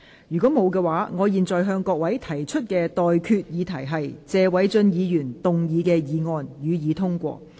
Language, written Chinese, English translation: Cantonese, 如果沒有，我現在向各位提出的待決議題是：謝偉俊議員動議的議案，予以通過。, If not I now put the question to you and that is That the motion moved by Mr Paul TSE be passed